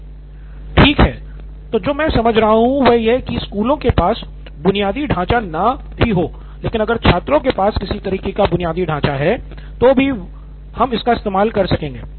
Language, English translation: Hindi, What I am hearing is that schools do not have the infrastructure, but students do have some kind of infrastructure and we will use that